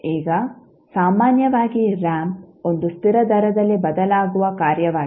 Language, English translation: Kannada, Now, in general the ramp is a function that changes at a constant rate